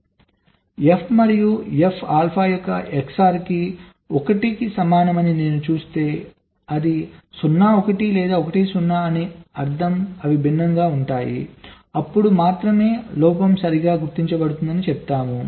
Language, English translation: Telugu, so if i see that the xor of f and f, alpha equal to one, which means it is either zero, one or one zero, which means they are different, then only we say that the fault is getting detected right now